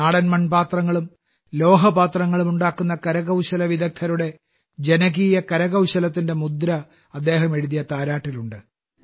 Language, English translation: Malayalam, The lullaby he has written bears a reflection of the popular craft of the artisans who make clay and pot vessels locally